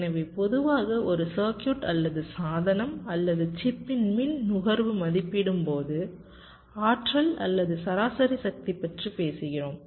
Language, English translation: Tamil, so normally, when we evaluate the power consumption of a circuit or a device or a chip, we talk about the energy or the average power